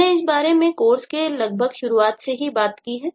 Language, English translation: Hindi, we have talked about this since almost the since the beginning of the course